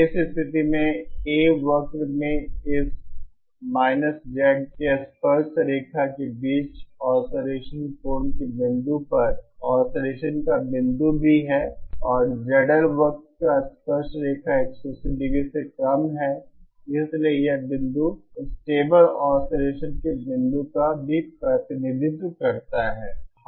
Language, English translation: Hindi, In this case also the point of oscillation at the point of oscillation angle between the tangent of this Z in A curve is and the tangent to the Z L curve is lesser than 180¡ therefore, this point also represents a point of stable oscillation